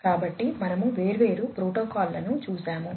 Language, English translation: Telugu, So, we have gone through different protocols